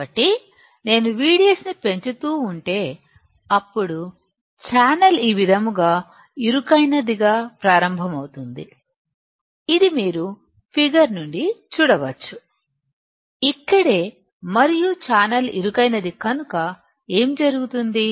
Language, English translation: Telugu, So, if I keep on increasing V D S; then, channel will start getting narrowed like this which you can see from the figure, right over here and because the channel is getting narrow, what will happen